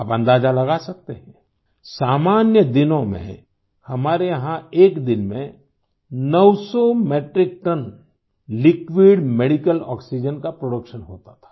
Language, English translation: Hindi, You can guess for yourself, in normal circumstances we used to produce 900 Metric Tonnes of liquid medical oxygen in a day